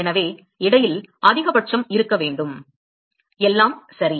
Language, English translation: Tamil, So, there has to be maxima in between all right